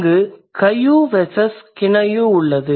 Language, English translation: Tamil, So, Kayu versus Kinayu